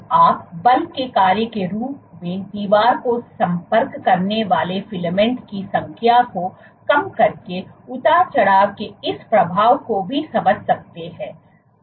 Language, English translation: Hindi, So, you can also understand this effect of fluctuation by plotting the number of filaments contacting the wall as a function of force